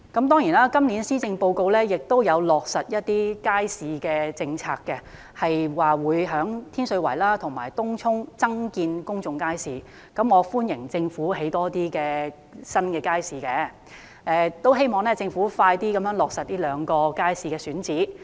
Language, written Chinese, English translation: Cantonese, 當然今年施政報告亦有落實一些街市的政策，提到會在天水圍和東涌增建公眾街市，我歡迎政府興建更多新街市，亦希望政府盡快落實這兩個街市的選址。, The Policy Address this year of course has proposed to implement certain policies relating to markets and to build public markets in Tin Shui Wai and Tung Chung . I welcome the Governments construction of more new markets and hope that it will decide on the sites of these two markets as soon as possible